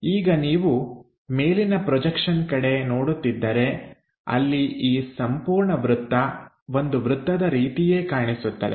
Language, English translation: Kannada, Now if you are looking the projection onto the top one unfolding it it comes as top view there this entire circle comes out like a circle there